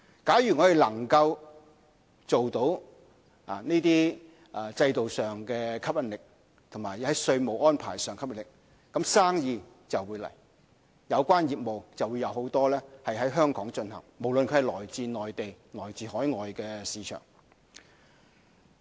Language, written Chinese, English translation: Cantonese, 假如我們能夠既在這些制度上具有吸引力，也在稅務安排上有吸引力，就會有生意，就會有許多有關業務在香港進行，無論是來自內地或海外的市場。, If we can increase the appeal of those systems and the tax arrangement we will be able to attract many related businesses to Hong Kong whether from the Mainland or overseas markets